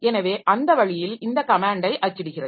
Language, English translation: Tamil, So, that way it is printing this comment